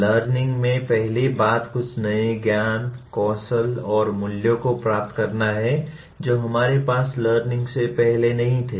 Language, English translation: Hindi, First thing is learning is acquiring some new knowledge, skills and values which we did not have prior to learning